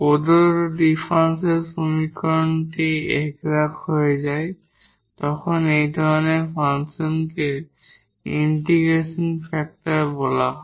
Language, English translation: Bengali, The given differential equation becomes exact then such a function is called the integrating factor